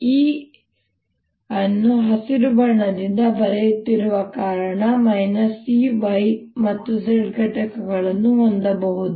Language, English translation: Kannada, let me make, since i am writing e with green, let me make: e can have components y and z